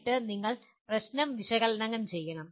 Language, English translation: Malayalam, And then you have to analyze the problem